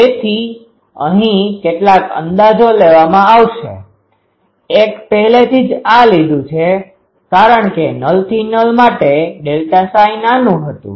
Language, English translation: Gujarati, So, here will take several approximations; one is this is already, we have taken that since for null to null delta psi that was small